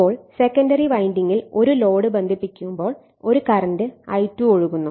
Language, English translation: Malayalam, Now, when a load is connected across the secondary winding a current I2 flows right